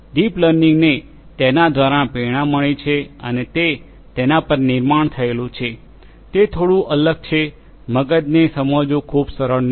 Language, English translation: Gujarati, it has been you know deep learning has been inspired by that and it builds upon that; it is little bittle little different you know understanding brain is not very easy